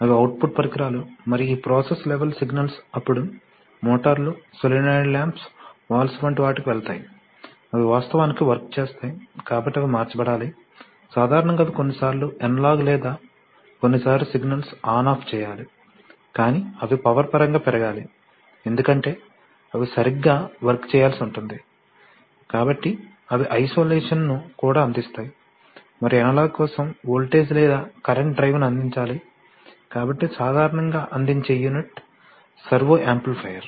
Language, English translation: Telugu, They do the reverse, they translate processor level signals to process level signals, they’re, they are the output devices and this process level signals then go to things like motors, solenoid lamps, valves, they have actually do work, right, so they have to be converted in form, generally they have to made sometimes, mostly they have to make, be made analog or sometimes even on/off kind of signals but they have to be increased in power because they are supposed to do work right, so they also provide isolation, and for analogs it has to provide the voltage or current, voltage or current drive, so typically a unit that will provide, that will be let us say a servo amplifier